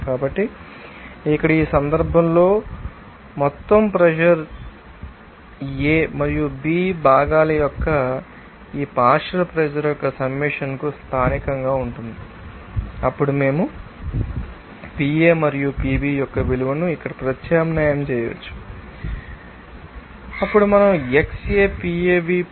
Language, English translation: Telugu, So, here, in this case, our total pressure will be local to the summation of this partial pressure of components A and B, then we can substitute that value of PA and PB here, then we can write like this xAPAv + PAv